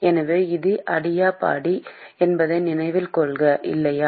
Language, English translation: Tamil, So, note that this is adiabatic, right